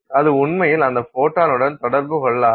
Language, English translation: Tamil, And so the photon goes through without interaction